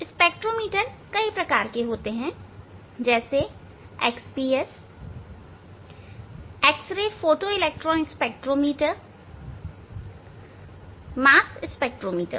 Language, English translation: Hindi, There are various kinds of spectrometers; spectrometers are there like XPS, X Ray photoelectron spectrometer, mass spectrometer, etcetera, etcetera